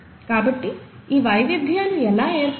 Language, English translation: Telugu, So how are these variations caused